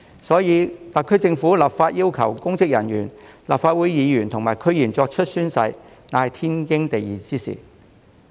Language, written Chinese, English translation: Cantonese, 因此，特區政府立法要求公職人員、立法會議員及區議員作出宣誓，是天經地義的事。, Therefore it is naturally and perfectly justified for the SAR Government to legislate to require public officers Members of the Legislative Council and DC members to take an oath